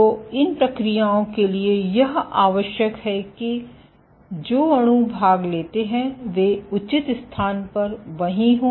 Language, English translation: Hindi, So, for these processes you require that the molecules which participate are right there at the proper location